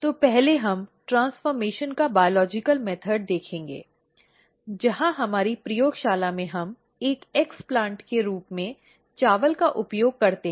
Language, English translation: Hindi, So, first we will be going through the biological method of transformation, where in our lab we use rice as an explant